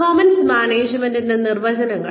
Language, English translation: Malayalam, Definitions of performance management